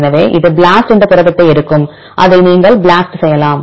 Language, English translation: Tamil, So, it takes the protein BLAST and you can BLAST it